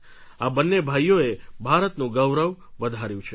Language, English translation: Gujarati, These two brothers have brought pride to the Nation